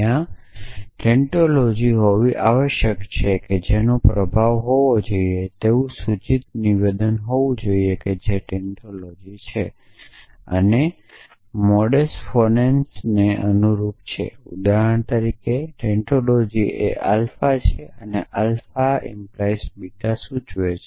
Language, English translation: Gujarati, There must be tantology which is an imp there must be an implication statement which is a tantology and corresponding to modus phonons for example, the tantology is alpha and alpha implies beta implies beta